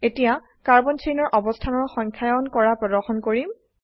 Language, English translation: Assamese, Now I will demonstrate how to number the carbon chain positions